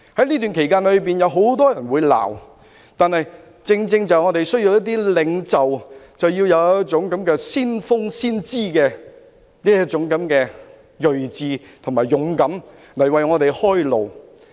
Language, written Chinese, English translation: Cantonese, 這段期間會有很多人責罵，但我們正需要具先峰、先知的銳志及勇敢的領袖，為我們開路。, During this period he will be scolded by many people but we just need a resolute and courageous leader with pioneering and prophetic vision to open up a new path for us . Let me recap a little history